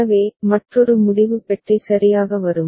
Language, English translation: Tamil, So, another decision box will come right